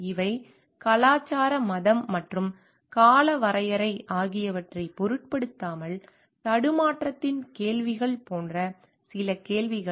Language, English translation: Tamil, These are certain questions which are like questions of dilemma irrespective of the may be culture religion and time frame